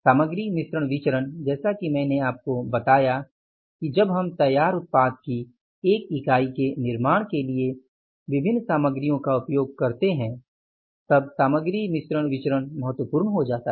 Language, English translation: Hindi, Material mix variance as I told you that when we use multiple type of materials for manufacturing the one unit of the finished product, so then the material mix variance becomes important